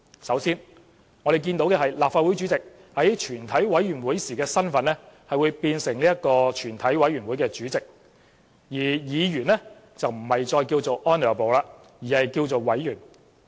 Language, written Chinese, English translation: Cantonese, 首先，立法會主席在全委會時的身份變成全委會主席，而議員稱呼不再有 "Honourable"， 而是稱為委員。, First the President of the Legislative Council becomes the Chairman of a committee of the whole Council at the committee stage and Members are not addressed as Honourable in a committee of the whole Council